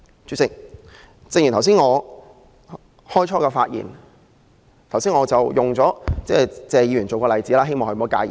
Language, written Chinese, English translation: Cantonese, 主席，我開始發言時以謝議員作為例子，希望他不要介意。, President I cited Mr Paul TSE as an example when I started to speak; I hope he does not mind